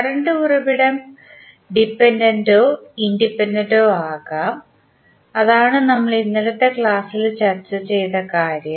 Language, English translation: Malayalam, Current source may be the independent or dependent, so that particular aspect we discussed in yesterday’s class